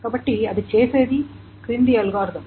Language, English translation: Telugu, So what is the cost of this algorithm